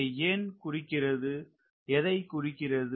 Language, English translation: Tamil, what is the meaning of that